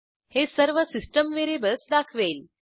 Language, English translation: Marathi, This will display all the system variables